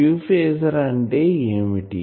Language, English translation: Telugu, And what is q phasor